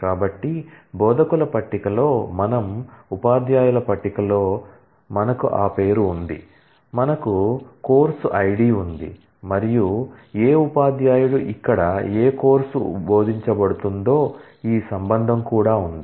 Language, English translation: Telugu, So, in the instructor table we have the name in the teachers table, we have the course id and also this relationship as to which course is taught by which teacher and here, we have the relationship between which id of the instructor has which name